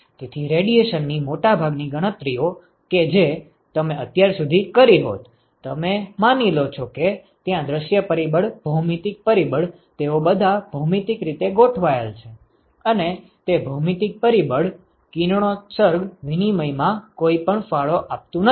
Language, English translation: Gujarati, So, most of the radiation calculations that you would have done so far you assume that there the view factor the geometric factor they are all geometrically aligned and that that the geometric factor does not contribute anything to the radiation exchange